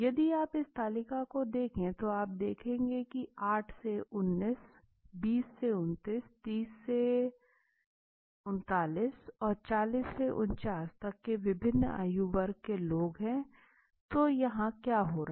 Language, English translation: Hindi, If you look at this table you will be seeing there are different age groups 8 to 19 20 to 29 30 to 39 40 to 49 and 50 right, so and across the years if you grow right now what is happening